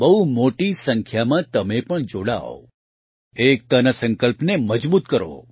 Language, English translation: Gujarati, You should also join in large numbers and strengthen the resolve of unity